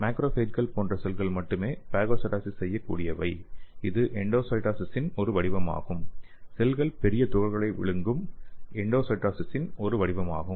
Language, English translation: Tamil, So only specialized cell such as macrophages are capable of phagocytosis, a form of endocytosis in which the cells engulf large particles